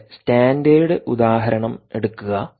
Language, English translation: Malayalam, lets take our standard example, please recall